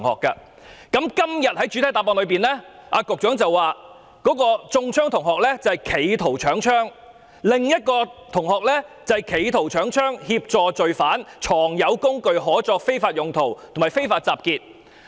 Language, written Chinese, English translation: Cantonese, 局長在主體答覆指出，中槍的同學涉嫌"企圖搶槍"，另一位同學則涉嫌"企圖搶槍"、"協助罪犯"、"藏有工具可作非法用途"及"非法集結"。, The Secretary stated in the main reply that the student who was shot was arrested for the alleged offence of attempted robbery of firearms and another student was arrested for the alleged offences of attempted robbery of firearms assisting offenders possessing an instrument fit for an unlawful purpose and unlawful assembly